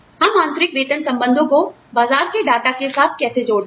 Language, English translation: Hindi, How do we link, internal pay relationships to market data